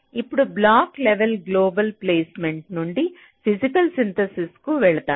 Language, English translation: Telugu, then from block level global placement you move to physical synthesis